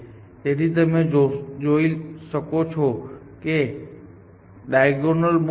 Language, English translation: Gujarati, So, now you can see that a diagonal move in this